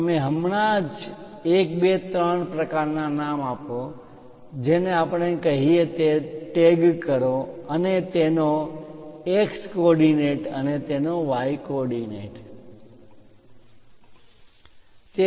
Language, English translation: Gujarati, You just give the name 1, 2, 3 kind of names, tag what we call and its X coordinates its Y coordinates